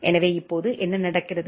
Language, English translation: Tamil, So now, what is happening